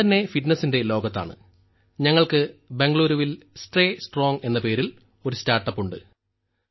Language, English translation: Malayalam, I myself belong to the world of fitness and we have a startup in Bengaluru named 'Tagda Raho'